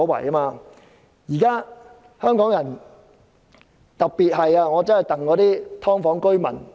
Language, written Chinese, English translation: Cantonese, 對於現時的香港人，我特別心疼"劏房"居民。, Concerning the people of Hong Kong today I feel especially sad for residents of subdivided units